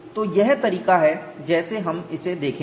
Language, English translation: Hindi, So, that is the way we will look at it